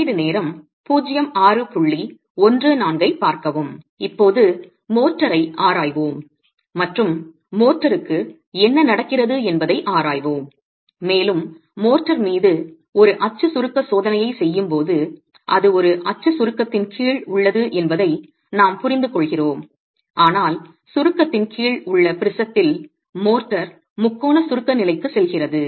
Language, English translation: Tamil, Now let's examine motor and what's happening to motor and we understand that when we are doing a uniaxial compressive test on the motor, it's under uniaxial compression but in the prism under compression the motor goes into the state of triaxil compression